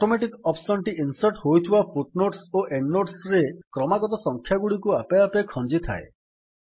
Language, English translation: Odia, The Automatic option automatically assigns consecutive numbers to the footnotes or endnotes that you insert